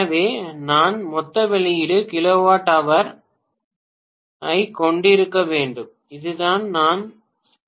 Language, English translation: Tamil, So, I will have to have total output kilowatt hour divided by total input kilowatt hour, this is what is all day efficiency